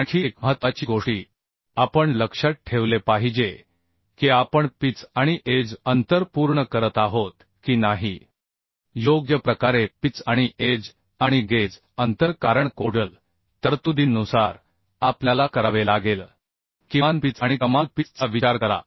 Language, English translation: Marathi, Another important things we have to keep in mind that the whether we are satisfying the pitch and edge distance properly pitch and edge and gauge distance because as per codal provisions, we have to consider the minimum pitch and maximum pitch